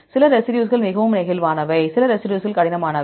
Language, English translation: Tamil, Some residues are highly flexible, some residues are rigid